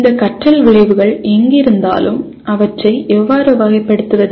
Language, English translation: Tamil, Wherever you have these learning outcomes how do I classify them